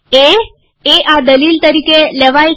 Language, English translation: Gujarati, A is taken as this argument